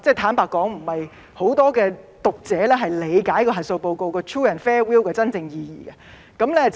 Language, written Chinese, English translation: Cantonese, 坦白說，不是很多讀者理解核數報告 true and fair view 的真正意義。, Frankly speaking not many readers understand the real meaning of a true and fair view of an audit report